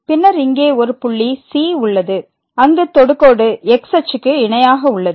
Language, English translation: Tamil, Then, there exist a point here where the tangent is parallel to the axis